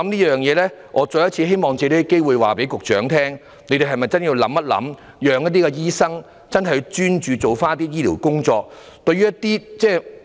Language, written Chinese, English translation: Cantonese, 因此，我希望藉此機會請局長考慮一下，怎樣才可以讓醫生真正專注處理醫療職務。, Hence I would like to take this opportunity to ask the Secretary to consider how we can make it possible for doctors to really focus on duties of a medical nature